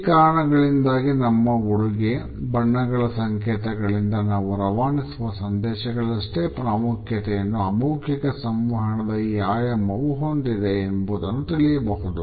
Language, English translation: Kannada, Because of these clues we can easily say that this dimension of nonverbal communication is at least as important as the messages which we receive through our dress, the colour codes etcetera